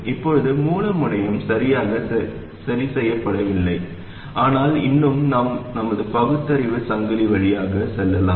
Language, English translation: Tamil, Now the source terminal is not exactly fixed but still we can go through our chain of reasoning